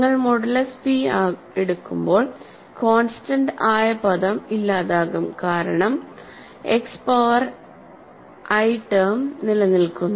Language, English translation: Malayalam, So, when you go modulo p the constant term goes away because the only X power i term survives